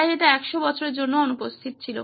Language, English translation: Bengali, So this is what was missing for a 100 years